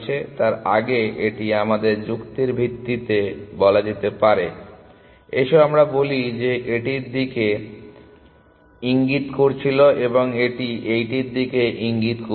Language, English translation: Bengali, So, before that, this was pointing to let us say this one for argument sake, let us say this was pointing to this and this was pointing to this